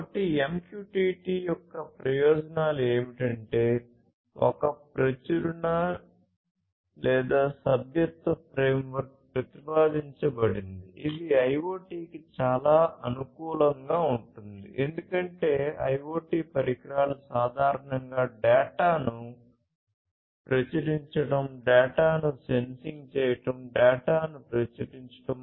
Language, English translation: Telugu, So, the advantages of MQTT is that a Publish/Subscribe framework has been proposed which is very suitable for IoT, because IoT devices typically would be publishing data, sensing data, publishing the data